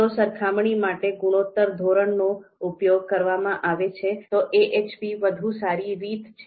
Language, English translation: Gujarati, So if we are using a ratio scale for this comparison, then probably AHP is the better approach